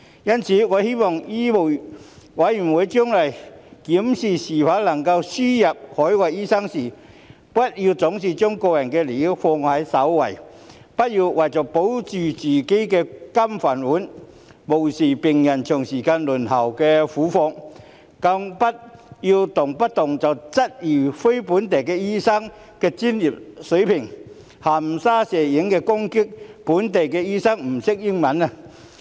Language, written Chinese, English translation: Cantonese, 因此，我希望醫委會將來檢視是否輸入海外醫生時，不要總是將個人利益放在首位，不要為了保着自己的"金飯碗"，便無視病人長時間輪候的苦況，更不要動輒質疑非本地培訓醫生的專業水平、含沙射影地攻擊非本地培訓醫生不懂英語。, Therefore I hope MCHK when examining whether or not to import overseas doctors will not always put its self - interests first . It should not turn a blind eye to the plight of patients who have to wait for a long time for the sake of keeping their lucrative jobs nor should it question the professional standards of non - locally trained doctors and attack them by insinuating that they do not know English